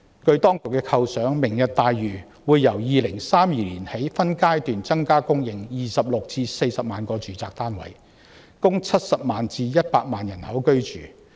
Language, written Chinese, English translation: Cantonese, 按當局的構想，"明日大嶼願景"會由2032年起分階段增加供應26萬至40萬個住宅單位，供70萬至100萬人居住。, The authorities envisage that from 2032 onwards the Lantau Tomorrow Vision will supply in phases 260 000 to 400 000 residential units housing a population of 700 000 to 1 000 000